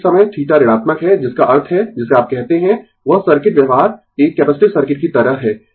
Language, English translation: Hindi, So, this time theta is negative that means what you call that circuit behavior is like a capacitive circuit